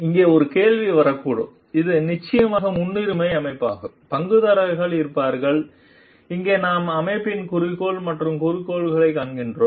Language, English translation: Tamil, But, here one question may come which is definitely of priority setting there are there will be stakeholders and here we see organizational goal and the objectives of the organization